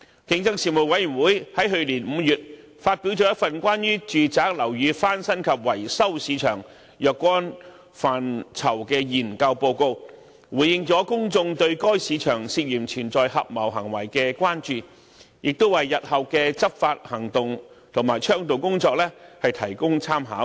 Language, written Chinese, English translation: Cantonese, 競爭事務委員會於去年5月發表了一份關於住宅樓宇翻新及維修市場若干範疇的研究報告，回應了公眾對該市場涉嫌存在合謀行為的關注，亦為日後的執法行動和倡導工作提供參考。, The Competition Commission published the Report on Study into Aspects of the Market for Residential Building Renovation and Maintenance in May last year to address public concerns over the alleged collusive activities in the market and provide reference for future enforcement and advocacy efforts